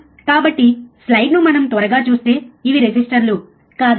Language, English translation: Telugu, So, if we quickly see the slide these are the resistors, isn’t it